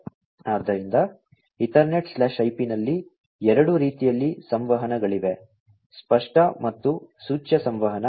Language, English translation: Kannada, So, in EtherNet/IP there are two types of communications; explicit and implicit communication